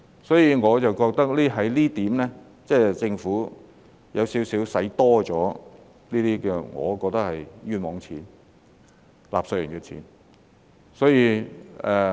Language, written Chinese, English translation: Cantonese, 所以，我覺得在這一點上，政府似乎是多花了錢，我覺得這是冤枉錢，是納稅人的錢。, Therefore on this point it seems to me that the Government has spent money unnecessarily . I think this is a waste of money . It is the taxpayers money